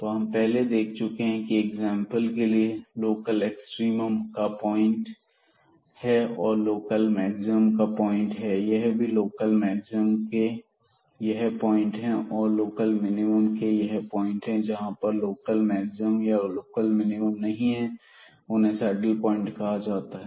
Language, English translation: Hindi, Here also local maximum these are the points here with local minimum and there is a point at this place here where we do not have a local maximum or minimum and then this will be called a saddle point